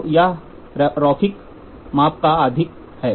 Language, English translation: Hindi, So, it is more of linear measurements